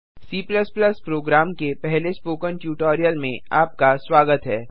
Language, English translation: Hindi, Welcome to the spoken tutorial on First C++ program